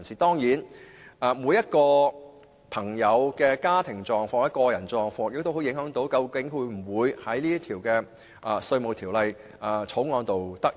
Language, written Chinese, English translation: Cantonese, 當然，每個人的家庭狀況或個人狀況均會影響他能否在《條例草案》中得益。, Certainly family or personal circumstances of an individual person will have a bearing on whether he can benefit from the Bill